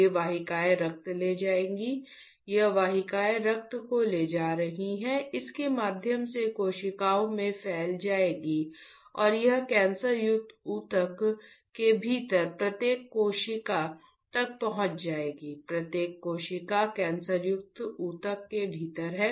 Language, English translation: Hindi, These vessels will carry the blood , this vessels is carrying the blood through this will diffuse in the capillaries and it will reach to the each cell within the cancerous tissue, each cell within the cancerous tissue